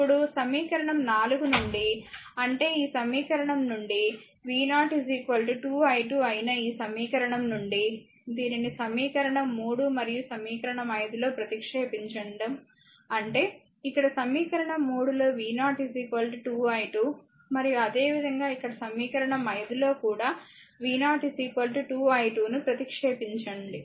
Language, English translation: Telugu, Now from equation 4; that is, from this equation that is your v 0 is equal to 2 i 2 from this equation, right that you substitute this in equation equation 3 and equation 5; that means, here in the equation 3 v 0 is equal to substitute your what you call you substitute here v 0 is equal to 2 i 2